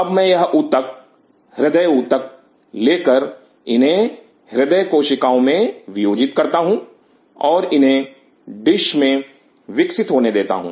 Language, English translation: Hindi, Now I take this tissue cardiac tissue dissociate them into cardiac myocytes and allow them to grow in a dish